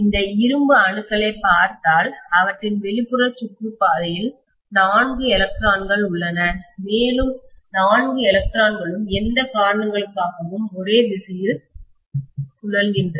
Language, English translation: Tamil, And if you look at these iron atoms, they have 4 electrons in their outermost orbit and all the 4 electrons seem to spin along the same direction for whatever reasons